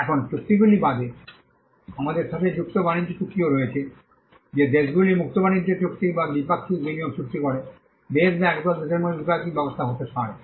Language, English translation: Bengali, Now, apart from the treaties, we also have free trade agreements which countries enter into free trade agreements or bilateral investment treaties, can be bilateral arrangement between countries or a group of countries